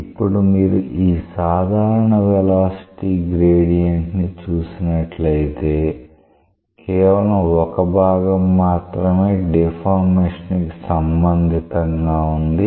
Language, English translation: Telugu, Now, you see that when you have a general velocity gradient out of that only one part is related to deformation